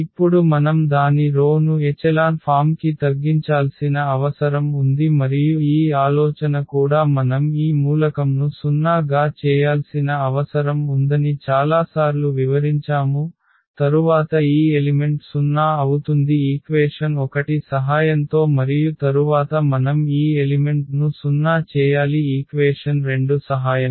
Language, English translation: Telugu, Now we need to reduce it to the row reduced echelon form and that idea is also we have explained several times we need to make this elements 0, then this element 0 with the help of this equation number 1 and then we need to make this element 0 with the help of the equation number 2